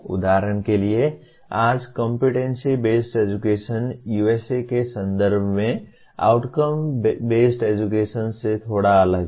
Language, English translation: Hindi, For example today Competency Based Education has come to be slightly different from Outcome Based Education in the context of USA